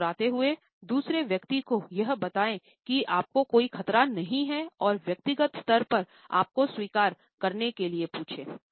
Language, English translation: Hindi, Smiling search the purpose of telling another person you are none threatening and ask them to accept you on a personal level